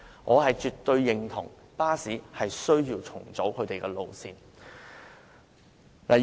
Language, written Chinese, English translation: Cantonese, 我絕對認為巴士需要重組路線。, I absolutely believe that bus route rationalization is necessary